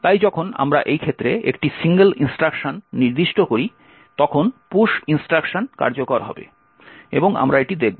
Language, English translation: Bengali, So when we specify si a single instruction in this case the push instruction would get executed and we will actually look at this